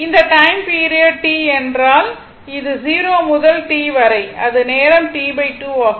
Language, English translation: Tamil, And this is this time period is T say 0 to T and this is your this time is T by 2 right